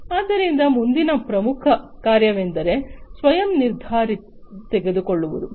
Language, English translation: Kannada, So, the next important function is the self decision making